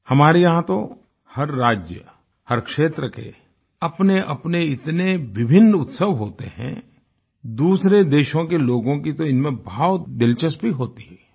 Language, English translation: Hindi, Here, every state, every region is replete with distinct festivals, generating a lot of interest in people from other countries